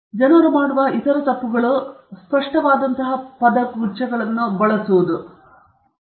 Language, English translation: Kannada, And other mistakes that people make are using phrases such as it is obvious